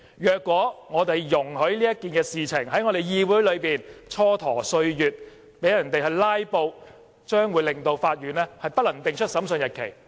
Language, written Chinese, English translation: Cantonese, 如果我們容許這件事在我們的議會內蹉跎歲月，讓人"拉布"，將令法院不能定出審訊日期。, On the contrary if we allow this issue to linger on in this Council and connive at the filibuster the Court will not be able to fix a date